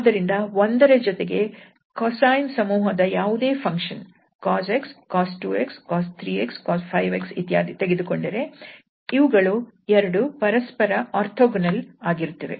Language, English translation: Kannada, So, here we have seen that with 1 if we take any member of the cosine family that means the cos x, cos 2x, cos 3x, cos 5x etc, these two are orthogonal